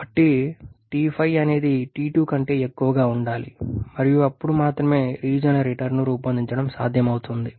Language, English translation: Telugu, So T5 has to be greater than T2 and then only it is possible to design a regenerator